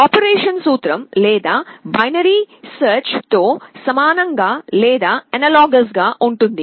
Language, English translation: Telugu, The principle of operation is analogous or similar to binary search